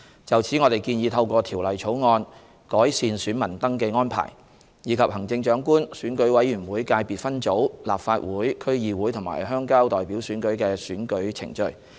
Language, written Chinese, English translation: Cantonese, 就此，我們建議透過《條例草案》，改善選民登記安排，以及行政長官、選舉委員會界別分組、立法會、區議會和鄉郊代表選舉的選舉程序。, In this connection we proposed in the Bill to improve the voter registration arrangements and the electoral procedures for the Chief Executive Election Committee Subsector Legislative Council District Council and Rural Representative elections